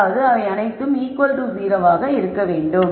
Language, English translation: Tamil, That means, all of them have to be equal to 0